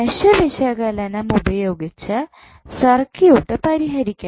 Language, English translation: Malayalam, We have to solve the circuit using mesh analysis